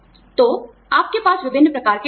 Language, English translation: Hindi, So, you have various types of benefits